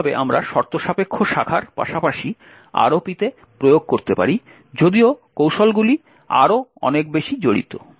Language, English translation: Bengali, In a similar way we could also have conditional branching as well implemented in ROP although the techniques are much more involved